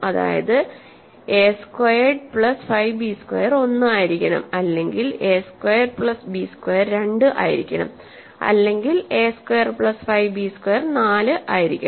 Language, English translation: Malayalam, You have an integer a squared plus y b squared which divides 4 that means, a squared plus 5 b squared must either be 1 or a squared plus b squared must be 2 or a squared plus 5 b squared must be 4